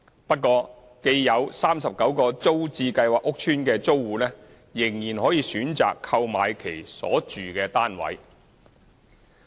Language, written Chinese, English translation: Cantonese, 不過，既有39個租置計劃屋邨的租戶仍可選擇購買其所住單位。, However sitting tenants of the 39 TPS estates can opt to buy the flats they are living in